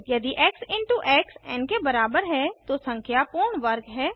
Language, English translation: Hindi, If x into x is equal to n, the number is a perfect square